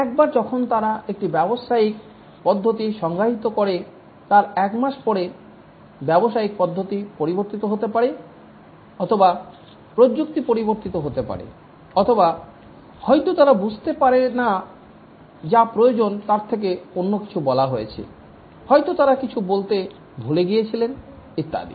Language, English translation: Bengali, Once they have defined a business procedure, maybe after a month the business procedure changes or maybe the technology changes or maybe they might have not understood what is required and told something else